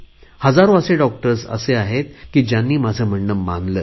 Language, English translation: Marathi, There are thousands of doctors who have implemented what I said